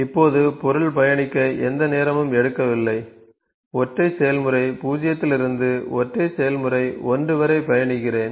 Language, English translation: Tamil, Now, it is not taking any time for the material to travel, travel from the single process 0 to single process 1